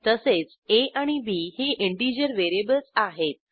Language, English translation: Marathi, a and b are the integer variables